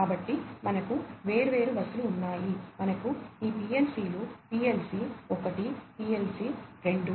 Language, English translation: Telugu, So, we have different bus, we have these PLCs PLC 1, PLC 2, etcetera